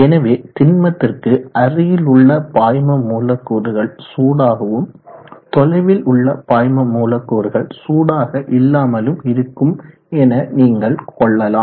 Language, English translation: Tamil, So if you consider the fluid molecules close to this solid they will be hot, and the fluid molecules away from the solid they will not be as hot